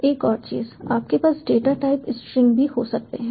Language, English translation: Hindi, another thing you can also: you also have a data type string